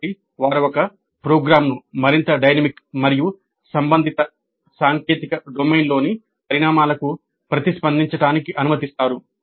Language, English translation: Telugu, So they allow a program to be more dynamic and responsive to the developments in the technical domain concern